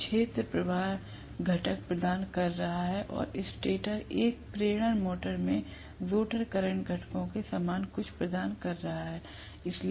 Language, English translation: Hindi, So, the field is providing the flux component and the stator is providing something similar to the rotor current components in an induction motor